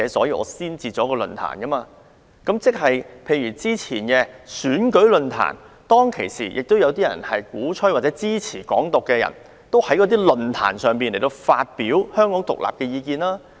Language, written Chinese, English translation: Cantonese, 以早前舉行的選舉論壇為例。鼓吹或支持"港獨"的人，亦有在論壇上發表意見。, For example there were both proponents and opponents of Hong Kong independence in an election forum held earlier